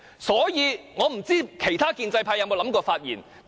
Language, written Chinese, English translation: Cantonese, 所以，我不知道其他建制派有否想過發言。, I do not know whether other pro - establishment Members have ever thought of speaking on this motion